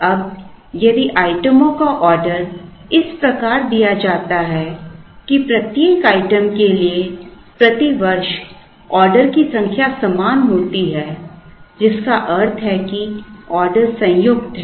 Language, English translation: Hindi, Now, if the items are ordered such that, the number of orders per year for each item is the same, which means the orders are combined